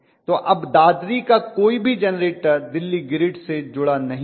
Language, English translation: Hindi, So none of the generator from Dadri is being connected to the Delhi gird